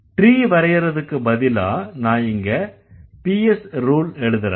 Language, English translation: Tamil, Instead of drawing the tree, I will write the PS rules